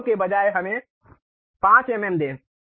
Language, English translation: Hindi, Instead of 0, let us give 5 mm